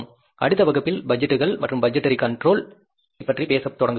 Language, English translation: Tamil, In the next class, we will start talking about the next topic that is the budgets and the budgetary control